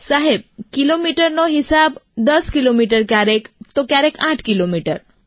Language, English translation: Gujarati, Sir in terms of kilometres 10 kilometres; at times 8